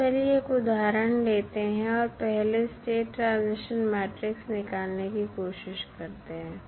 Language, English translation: Hindi, Now, let us take an example and try to find out the state transition matrix first